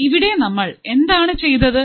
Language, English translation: Malayalam, So, here what have we done